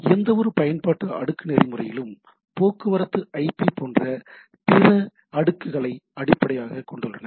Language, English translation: Tamil, So, as any application layer protocol, they rely on underlying other layers like transport IP etcetera, right